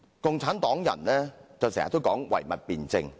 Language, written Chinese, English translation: Cantonese, 共產黨人經常說唯物辯證法。, The Communists talk about materialistic dialectics all the time